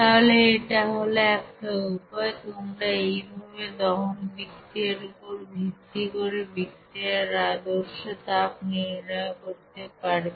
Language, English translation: Bengali, So this one in this way you can you know calculate the standard heat of reaction based on the combustion reaction